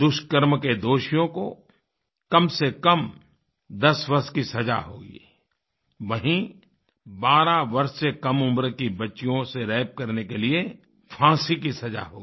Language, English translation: Hindi, Those guilty of rape will get a minimum sentence of ten years and those found guilty of raping girls below the age of 12 years will be awarded the death sentence